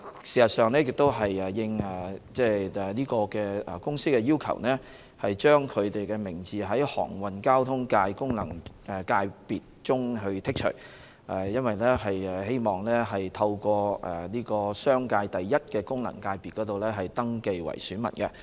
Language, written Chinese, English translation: Cantonese, 事實上，今次是應該公司的要求，把它從航運交通界功能界別中剔除，因為該公司希望透過商界的功能界別登記為選民。, As a matter of fact in this exercise the company will be deleted from the Transport Functional Constituency at its own request because it wished to register as an elector in the Commercial First Functional Constituency